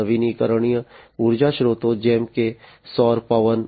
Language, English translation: Gujarati, And renewable energy sources like you know solar, wind etc